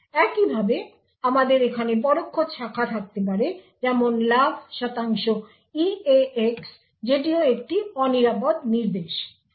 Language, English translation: Bengali, Similarly, we could have indirect branches such as jump percentage eax over here which is also an unsafe instruction